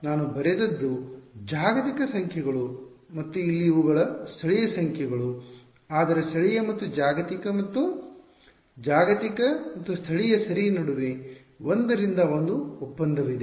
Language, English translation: Kannada, So, what I have written are global numbers and these things over here these are local numbers, but there is a 1 to 1 correspondence between local and global and global and local ok